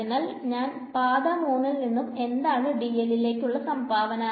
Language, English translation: Malayalam, So, from path 3, what will be the contribution which way is dl